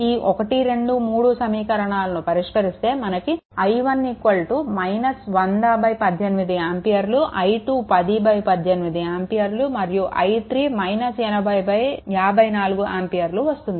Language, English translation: Telugu, Solve equation 1, 2 and 3, so you will get your i 1 is equal to minus 100 upon 18 ampere; i 2 is equal to minus 10 upon 18 ampere; and i 3 is equal to minus 80 upon 54 ampere